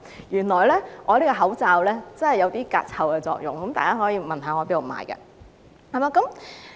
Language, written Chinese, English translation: Cantonese, 原來我這個口罩有些隔臭作用，大家可以問我在哪裏購買。, It turns out that my mask has an odour barrier function and so you can ask me where to buy it